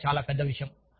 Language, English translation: Telugu, Another, very big thing